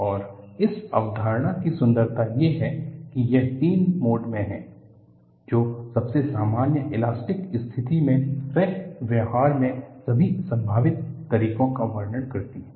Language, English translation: Hindi, And, what is the beauty of this concept is that the three modes describe all the possible modes of crack behavior in the most general elastic state